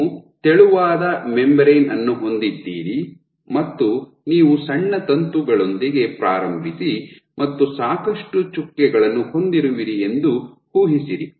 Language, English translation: Kannada, So, imagine you have a thin membrane you be you start with a small filament and you have lots of dots lots